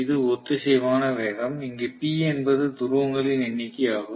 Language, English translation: Tamil, It is the synchronous speed, where P is the number of poles not pairs of poles